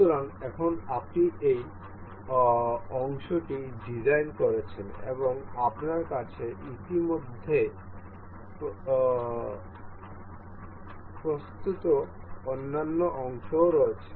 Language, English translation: Bengali, So, now, you have designed this part and you have other parts already ready